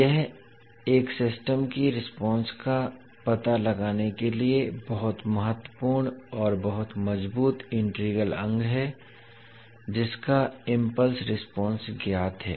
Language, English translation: Hindi, So this is very important and very strong integral to find out the response of a system, the impulse response of which is known